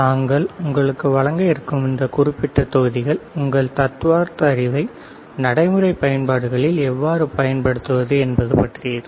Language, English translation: Tamil, So, this particular set of modules that we are going to show to you are regarding how to use your theoretical knowledge in practical applications